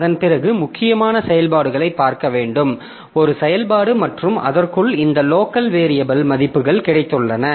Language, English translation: Tamil, Then after that we have to see for the functions like within the main is a function and within that we have got this two local variables, values and I